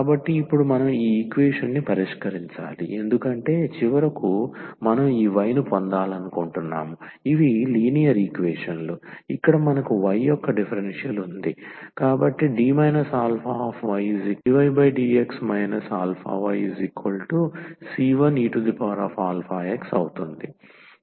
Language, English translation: Telugu, So, now, we need to solve this equation because finally, we want to get this y this is linear equations, so here we have the differential of y so this D of y is a dy over dx minus this alpha times y is equal to the c 1 e power alpha x